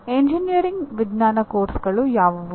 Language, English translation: Kannada, What are the engineering science courses